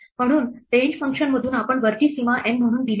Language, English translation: Marathi, So, from the range function since we give the upper bound as N